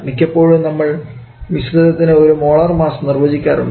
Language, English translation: Malayalam, We define an average molar mass for the mixture